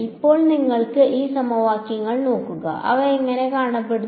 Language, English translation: Malayalam, Now, when you look at these equations, what do they what do they look like